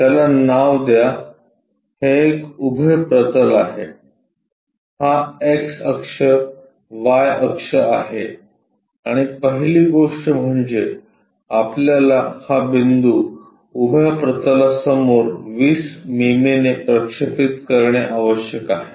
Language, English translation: Marathi, Name it this is vertical plane this is x axis y axis and first thing, what we have to do is project this point a in front of vertical plane by 20 mm